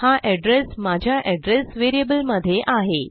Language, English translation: Marathi, So This is the address in my address variable